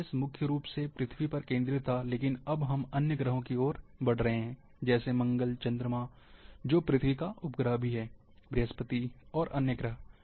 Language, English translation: Hindi, GIS was focused mainly on planet Earth, now we are moving towards other planets, like Mars, Moon, and Moon ofcourse is the satellite of Earth, Jupiter and other planets